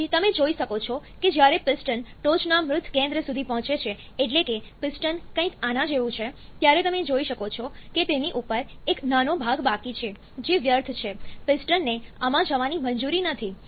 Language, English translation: Gujarati, Then, you can when the piston reaches the top dead centre that is piston is something like this then, you can see there is a small portion left on top of this which is void, the piston is not allowed to go into this